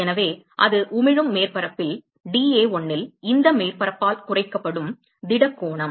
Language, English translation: Tamil, So, that is the solid angle that is subtended by this surface on the emitting surface dA1 ok